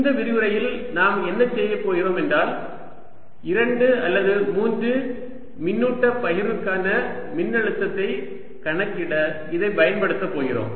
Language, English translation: Tamil, what we will do in this lecture is use this to calculate potentials for a two or three charge distributions